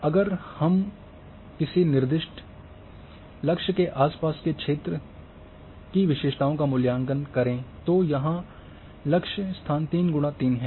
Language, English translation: Hindi, So, they will evaluate, so evaluate characteristics of an areas surrounding a specified target location here, target location is 3 by 3